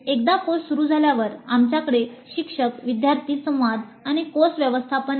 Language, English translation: Marathi, Then once the course commences, teacher student interaction, course management